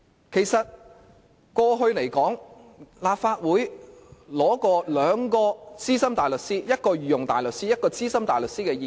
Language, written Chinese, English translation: Cantonese, 其實過去立法會曾取得一位資深大律師，一位御用大律師的意見。, Actually the Legislative Council already sought the legal advice of a Senior Counsel and also a Queens Counsel